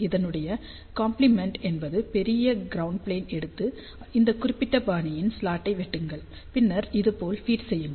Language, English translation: Tamil, So, complement of that would be is that you take a very large ground plane and cut a slot of this particular fashion and feed the slot like this